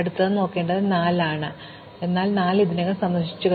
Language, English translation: Malayalam, So, we have to look at 4, but 4 is also already visited